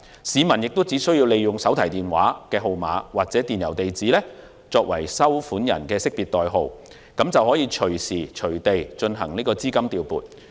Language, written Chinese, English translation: Cantonese, 市民只需利用手提電話號碼或電郵地址作為收款人的識別代號，隨時隨地調撥資金。, The public only needs to use a mobile phone number or an email address as account proxy for the payee to make real - time money transfer anytime and anywhere